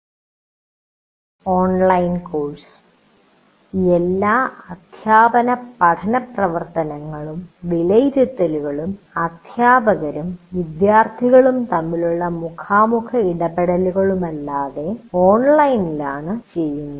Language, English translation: Malayalam, All teaching and learning activities and assessment are done online without any face to face interaction between teachers and students